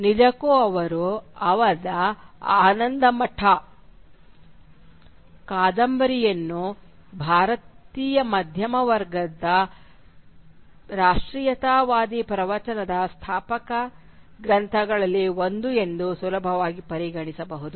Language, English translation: Kannada, And indeed, his novel Anandamath can easily be regarded as one of the founding texts of Indian middle class nationalist discourse